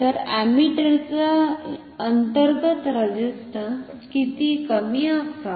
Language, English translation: Marathi, So, how low should the internal resistance of an ammeter be